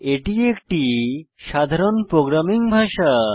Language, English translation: Bengali, It is a general purpose programming language